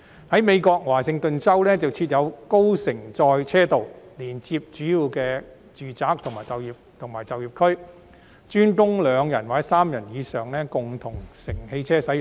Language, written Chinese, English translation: Cantonese, 在美國的華盛頓州設有高乘載車道，連接主要的住宅區與就業區，專供載有2人或3人以上共乘汽車使用。, The State of Washington US has established high - occupancy vehicle lanes HOV connecting major residential areas and employment areas for the use of ride - sharing vehicles carrying two or more passengers